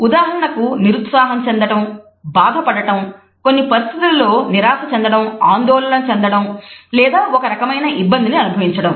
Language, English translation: Telugu, For example, of being frustrated, feeling hurt, being disappointed in certain situation, feeling worried or feeling some type of an embarrassment